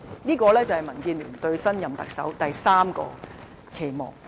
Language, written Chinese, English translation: Cantonese, 這是民建聯對新任特首的第三個期望。, This is DABs third expectation for the next Chief Executive